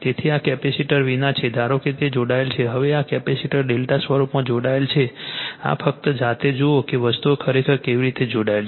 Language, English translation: Gujarati, So, this is without capacitor suppose it is connected; now, this capacitors are connected in delta form this is given just you see yourself that how actually things are connected right